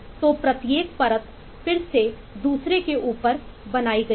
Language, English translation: Hindi, so each layer is built on top of other layer